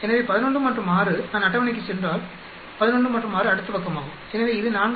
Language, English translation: Tamil, So 11 and 6 if I go to the table, 11 and 6 is next page so it is 4